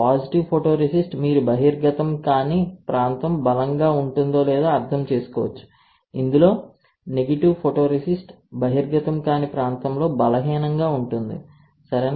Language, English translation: Telugu, Then you can understand that positive photoresist when you whether the area which is not exposed will get stronger wherein negative photoresist, the area which is not exposed will get weaker, right